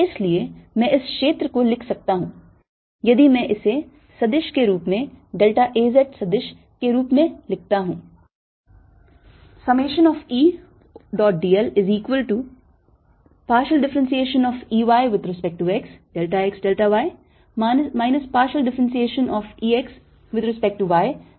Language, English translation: Hindi, so i can write this area if i write it as a vector, as delta a z vector